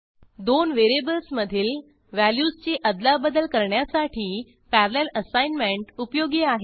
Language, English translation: Marathi, Parallel assignment is also useful for swapping the values stored in two variables